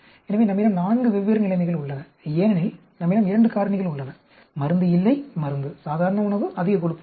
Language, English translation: Tamil, So, we have four different situations because we have two factors: no drug, no drug, normal diet, high fat diet